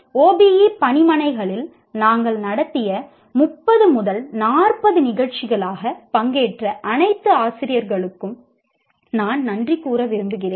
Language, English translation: Tamil, And also would like to thank all the teachers who participated, maybe 30, 40 programs we conducted on OBE workshops